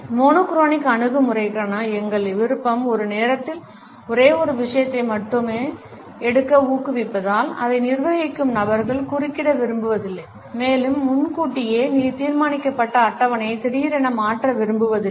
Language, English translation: Tamil, Because our preference for the monochronic attitude encourages us to take up only one thing at a time, people who are governed by it do not like to be interrupted and also do not prefer to suddenly change the pre decided scheduling